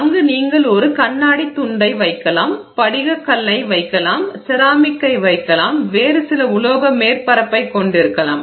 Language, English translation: Tamil, You could have, I mean you could have a piece of glass there, you could have quartz glass there, you could have some ceramic material there, you could have some other metal surface there